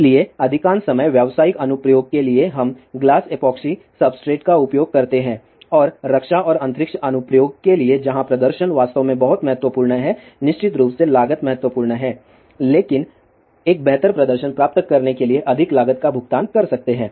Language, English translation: Hindi, So, most of the time for commercial application we use glass epoxy substrate and for the defence and space application where performance is really very very important cost of course, is important , but one can pay more cost to get a better performance